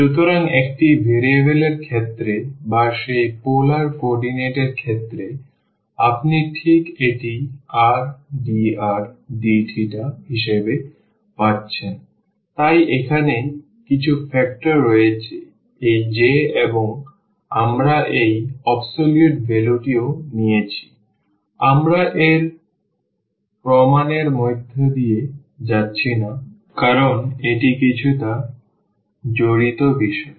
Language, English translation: Bengali, So, in case of one variable or in case of that polar coordinate you are getting just this as r dr d theta, so there is some factor here this J and we have taken this absolute value also; we are not going through the proof of this because that is a bit involved a topic